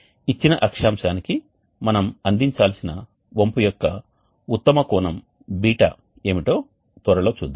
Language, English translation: Telugu, We will see shortly what would be the best angle ß of tilt that we should provide for a given latitude